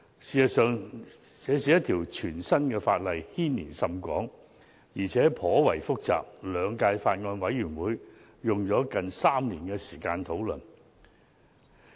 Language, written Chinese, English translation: Cantonese, 事實上，這是一項全新的法例，牽連甚廣，而且頗為複雜，兩屆法案委員會花了接近3年時間進行討論。, In fact this is a piece of new legislation with wide coverage and great complexity . The Bills Committees of the two terms have spent nearly three years to carry out discussions